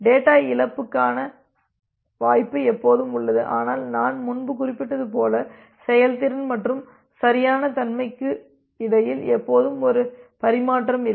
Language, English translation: Tamil, There is always a possibility of data loss, but as I have mentioned earlier there is always a trade off between the performance and the correctness